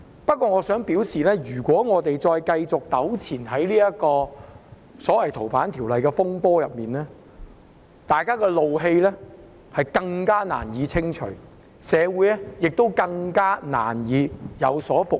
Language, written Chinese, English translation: Cantonese, 不過，我想說的是，如果我們繼續在這個所謂《逃犯條例》的風波上糾纏，大家的怒氣便更難清除，社會亦更難復原。, However what I wish to say is that if we continue to be entangled in this turmoil related to FOO it will be even more difficult to pacify the anger among the public and also more difficult for society to recover